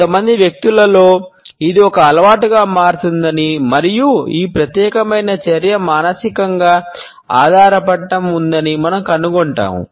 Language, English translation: Telugu, In some people, we would find that this becomes a habit and there is a psychological dependence on this particular type of an action